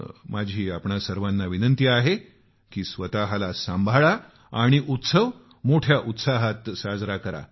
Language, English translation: Marathi, I urge all of you to take utmost care of yourself and also celebrate the festival with great enthusiasm